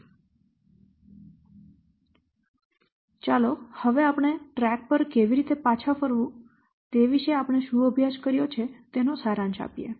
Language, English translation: Gujarati, So, now let's summarize what you have studied, how to get back on track